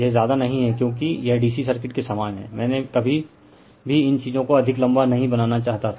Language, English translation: Hindi, This not much done because, it is same as dc circuit right I never wanted to make these things much more lengthy